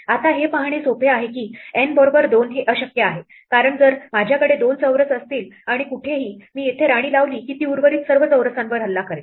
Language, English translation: Marathi, Now, it is easy to see that N equal to 2 is impossible because, if I have 2 squares and wherever, I put a queen say here it will attack all the remaining squares